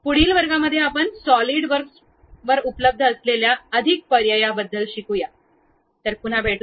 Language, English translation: Marathi, In next classes, we will learn about more options available at Solidworks